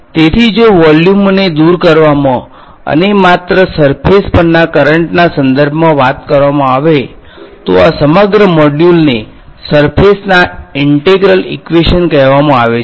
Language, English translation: Gujarati, So, somehow what we have manage to do if you have manage to remove the volumes and talk only in terms of currents on the surface; that is why these what that is why the whole module is called surface integral equations